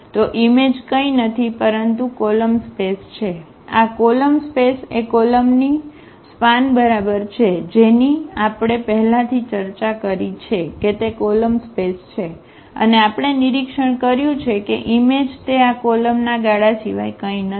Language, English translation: Gujarati, So, the image is nothing but image is nothing but the column the column space the column spaces exactly the span of these columns that is the column space we have already discussed and what we have observed that the image is nothing but the span of these columns